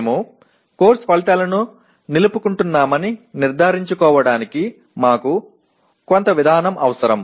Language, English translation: Telugu, We need some mechanism of making sure that we are retaining the course outcomes